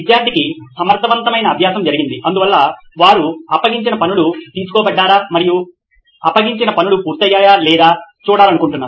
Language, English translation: Telugu, Effective learning has happened for the student which is why they want to see whether the notes have been taken and the assignments have been complete